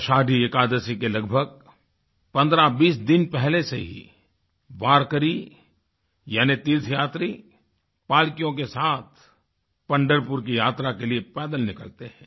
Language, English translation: Hindi, About 1520 days before Ashadhi Ekadashi warkari or pilgrims start the Pandharpur Yatra on foot